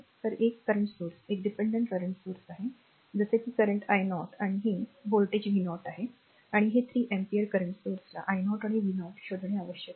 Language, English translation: Marathi, So, one current source is that is a dependent current source such these the current i 0 and this is your voltage v 0 and this is the 3 ampere current source you have to find out i 0 and v 0